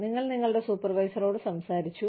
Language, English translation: Malayalam, You have spoken to your supervisor